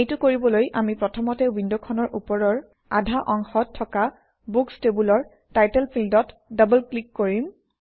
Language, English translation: Assamese, To do this, we will first double click on the Title field in the Books table in the upper half of the window